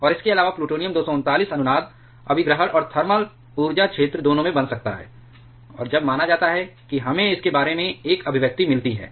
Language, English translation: Hindi, And also, plutonium 239 can get formed in both resonance capture and thermal energy region and when that is considered we get an expression like this